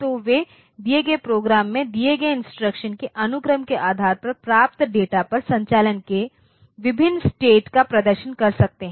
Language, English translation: Hindi, So, they can perform different states of operations on the data it receives depending on the sequence of instructions supplied in the given program